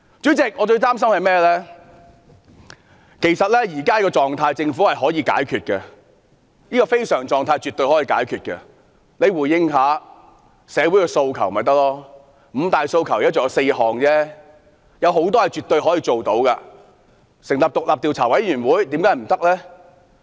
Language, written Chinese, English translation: Cantonese, 主席，其實政府絕對可以解決現時的非常狀態，只要政府稍為回應社會訴求，"五大訴求"只剩下4項，有些訴求是可以回應的，例如成立獨立調查委員會。, It only has to slightly respond to the demands in society . There are only four out of the five demands left . The Government can respond to some of them such as establishing an independent commission of inquiry